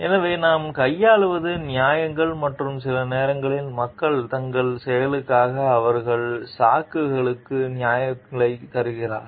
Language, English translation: Tamil, So, next what we deal with is justifications and sometimes people give justifications for their actions and their excuses